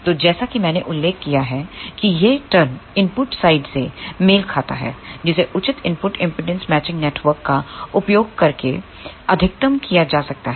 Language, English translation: Hindi, So, as I mentioned this term corresponds to the input side, which can be maximized by using proper input impedance matching network